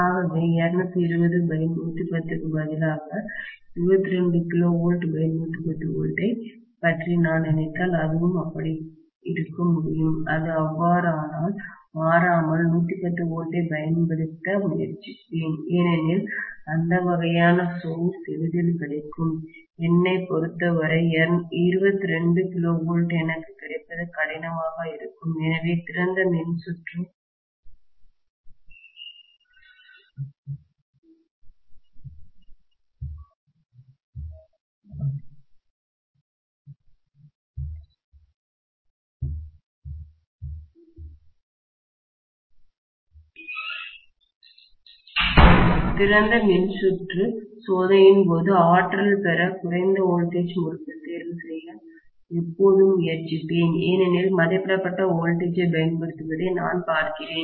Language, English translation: Tamil, So if I am having instead of 220 by 110, if I think of 22 kV divided by 110 volts, even it can be like that, if it is that way, then invariably I will try to apply 110 volts because that kind of source is easily available for me, 22 kV will be difficult for me to get, so always I will try to choose the low voltage winding to be energised in the case of you know the open circuit test because I am looking at applying rated voltage